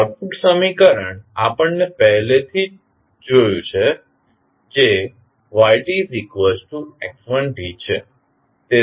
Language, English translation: Gujarati, Output equation we have already seen that is yt is equal to x1t